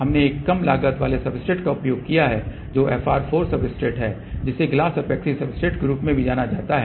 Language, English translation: Hindi, We have used a low cost substrate which is FR 4 substrate also known as glass epoxy substrate